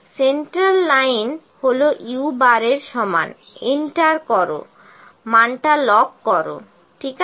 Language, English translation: Bengali, Centre line is my u bar this is equal to u bar enter lock the value, ok